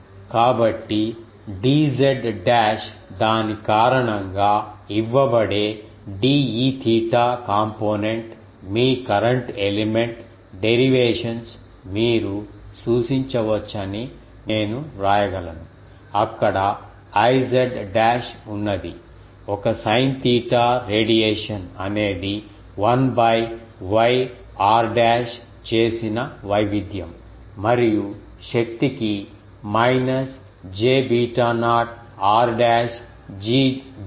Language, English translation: Telugu, So, I can write that due to the d z dash one the de theta component that will be given by this just you can refer to your current element derivations, there we have derived that this was the case I z dash is the current there is a sin theta radiation there is a one by r dashed variation e to the power minus j beta naught r dash d z dash